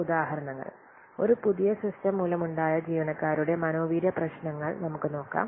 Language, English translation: Malayalam, Some examples let's see employee moral problems caused by a new system